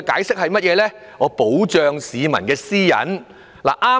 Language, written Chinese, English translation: Cantonese, 是為了保障市民私隱。, The answer given was to protect personal privacy